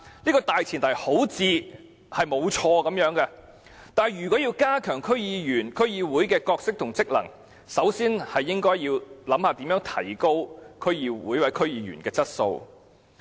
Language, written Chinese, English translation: Cantonese, 這個大前提似乎沒有錯，但如果要加強區議員和區議會的角色和職能，首先應思考如何提高區議會或區議員的質素。, This premise appears to be sound but if the role and functions of DCs or DC members are to be strengthened consideration must first of all be given to how best their quality can be upgraded